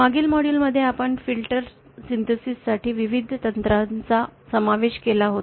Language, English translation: Marathi, In the previous 2 modules we had covered the various techniques for filter synthesis